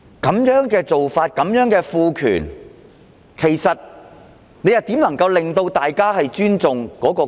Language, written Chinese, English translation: Cantonese, 這種做法和賦權怎能令大家尊重國歌？, How can such an approach and empowerment possibly make people respect the national anthem?